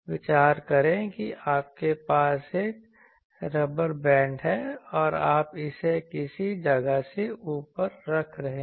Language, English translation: Hindi, Consider that you have a rubber band and you are holding it above some place